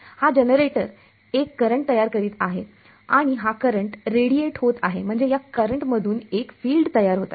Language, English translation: Marathi, This generator is producing a current and this current is radiating I mean this current in turn produces a field ok